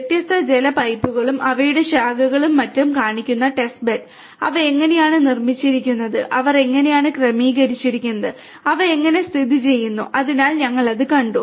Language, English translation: Malayalam, How the test bed showing the different water pipes, their branches and so on; how they have been structured; how they have been organized; how they have been located so we have seen that